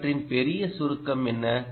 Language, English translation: Tamil, what is the big summary of all this